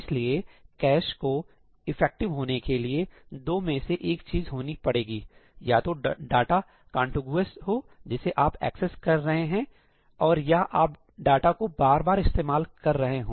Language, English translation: Hindi, So, one of two things has to happen for cache to be effective, right either data has to be contiguous, which you are accessing, or you are reusing data